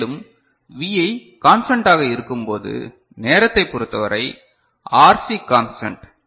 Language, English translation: Tamil, And, what is happening, when Vi is constant, with respect to time RC is constant